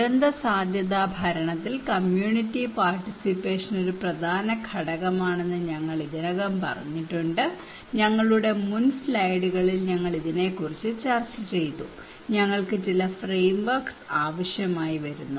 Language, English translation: Malayalam, We already told about that community participation is really a key element in disaster risk governance, we discussed about this in our previous slides previous presentations so, what we need that we need some framework